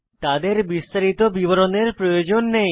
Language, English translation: Bengali, They dont need a detailed description